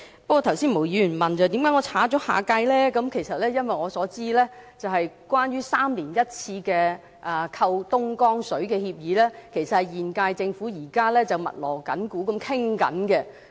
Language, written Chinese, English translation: Cantonese, 不過，毛議員剛才問，為甚麼我要刪去"下屆"，這是因為據我所知，關於3年1次購買東江水的協議，其實現屆政府現正密鑼緊鼓地商討。, However Ms MO has just asked why I have to delete the phrase next - term . This is because as far as I know the current term Government is actually busily negotiating a new deal on the three - year purchase agreement of Dongjiang water